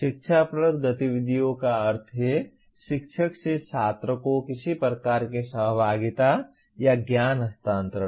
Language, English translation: Hindi, Instructional activities means in some kind of interaction or knowledge transfer from the teacher to the student